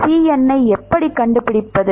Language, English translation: Tamil, How do we find Cn